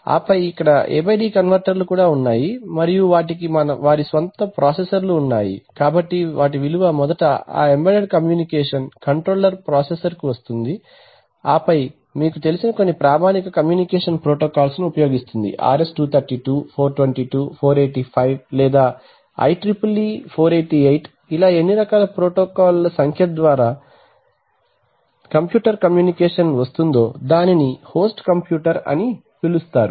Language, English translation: Telugu, And then here this also after A/D converters, and they have their own processors so the value is firstly coming to that embedded communication controller processor, and then using some very standard communication protocol either you know, RS 232, 422, 485 or IEEE 488 there are number of protocols by which through computer communication it is coming to what is known as the host computer